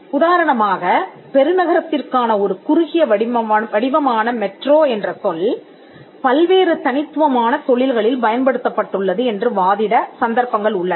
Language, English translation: Tamil, For instance, there has been cases where it has been argued that the word metro which is a short form for metropolis or metropolitan has been used in various distinct industries